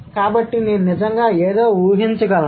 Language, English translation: Telugu, So, I can actually visualize something